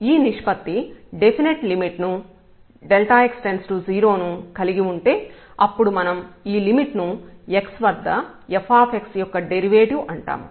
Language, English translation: Telugu, If this ratio here has a limit a definite limit as delta x tends to 0 then we call that this limit is the derivative of the function f x at the point x